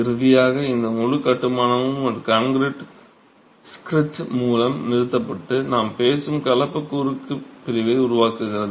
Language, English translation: Tamil, Finally, this entire construction is topped with a concrete screed and forms the composite cross section that we are talking of